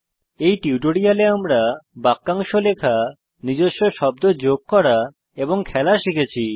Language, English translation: Bengali, In this tutorial we learnt to type phrases, add our own words, and play a game